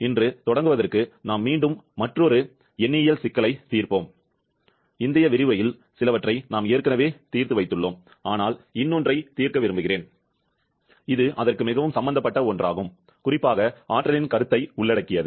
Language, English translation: Tamil, Today to start with we shall again be solving another numerical problem, we have already solved quite a few in the previous lecture but I shall; I would like to solve another one which is a quite involved one, particularly, involving concept of exergy